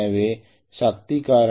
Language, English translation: Tamil, So the power factor can be as bad as 0